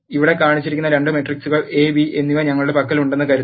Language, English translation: Malayalam, Let us suppose we have two matrices A and B which are shown here